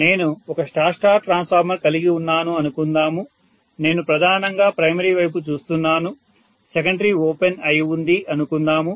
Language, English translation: Telugu, So if I am having let us say a star star transformer I am looking at mainly the primary, let us say secondary is open